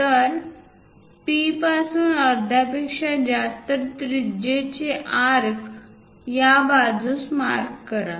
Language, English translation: Marathi, So, from P greater than half of that radius; mark an arc on this side